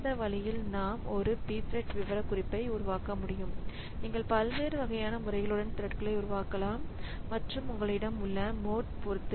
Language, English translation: Tamil, So, this way we can create a p thread specification says that you can create threads with different types of modes and depending upon the mode that you have